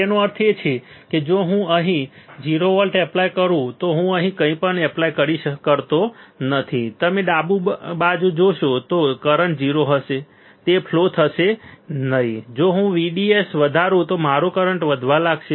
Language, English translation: Gujarati, That means if I do not apply anything here if I apply 0 voltage here, you see in the left side right then the current will be 0 it will not flow right if I increase VDS my current will start increasing right